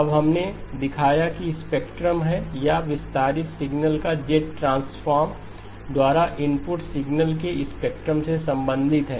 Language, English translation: Hindi, Now we showed that this is the spectrum or the z transform of the expanded signal is related to the spectrum of the input signal by XE of z is equal to X of z power L